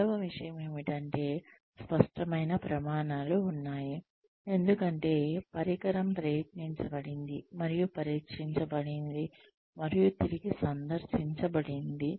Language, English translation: Telugu, The second thing is, there are clearers standards, because, the instrument has been tried, and tested, and re visited